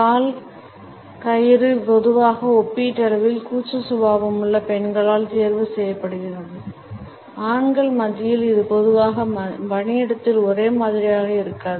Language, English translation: Tamil, The leg twine is normally opted by those women who are relatively shy; amongst men it is normally not same in the workplace